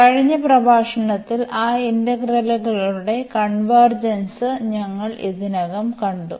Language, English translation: Malayalam, And, in the last lecture we have already seen the convergence of those integrals